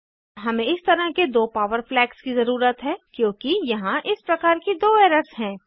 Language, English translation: Hindi, We need two such power flags since there are two errors of such type